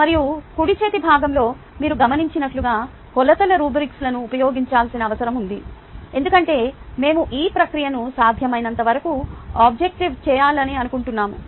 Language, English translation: Telugu, all of these ones the measurements are required to use rubrics because we want to make this process as objective as possible